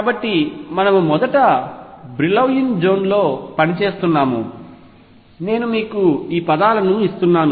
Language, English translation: Telugu, So, we work within the first Brillouin zone, I am just giving you these words